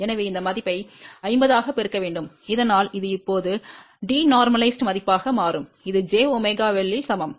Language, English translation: Tamil, So, we have to multiply with this value as 50 so that it becomes now de normalized value and this is equivalent to j omega L